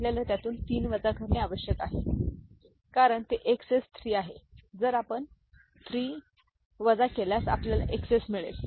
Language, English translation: Marathi, We need to subtract it subtract 3 from it, right because it is XS 6, if you subtract 3 we will get XS 3